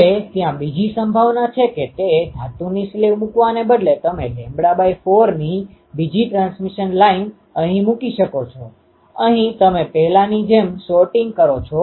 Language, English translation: Gujarati, Now, there is another possibility is instead of ah um putting that metal sleeve, you can put a ah another transmission line here of lambda by 4, here you are shorting as before